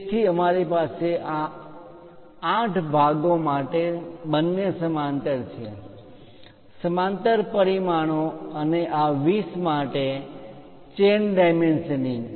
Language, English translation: Gujarati, So, we have both the parallel for these 8 parts; parallel dimensioning and for this 20, chain kind of part